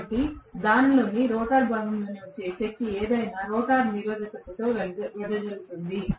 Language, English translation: Telugu, So, whatever is the power that is getting into the rotor part of it will be dissipated in the rotor resistance